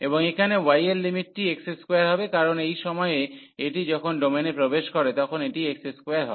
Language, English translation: Bengali, And so here the limit for y will be x square, because at this point when it enters the domain it is x square